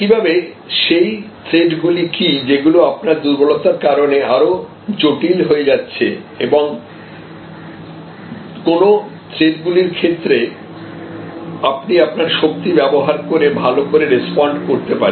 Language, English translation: Bengali, And, similarly what are the threats, that are further complicated by your weaknesses and what are the threats that you can respond to well by using your strength